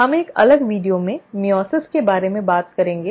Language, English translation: Hindi, We will talk about meiosis in a separate video